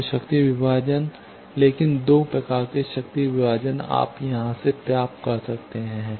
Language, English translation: Hindi, So, power division, but 2 types of power division you can get from here